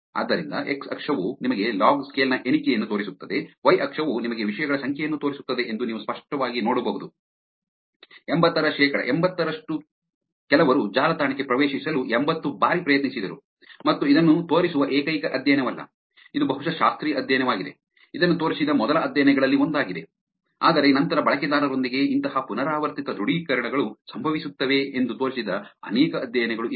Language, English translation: Kannada, So, the x axis is here showing you the count which is the log scale, y axis showing you the number of subjects you can clearly see that about 80 percent of the 80, some people even tried it for 80 times to get into the website, and this is not the only study, which is showing this, this is probably the classical study, one of the first studies which showed this, but later there have been many studies who showed that such kind of repeated authentications happen with the users